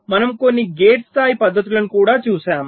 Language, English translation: Telugu, we looked at some gate level techniques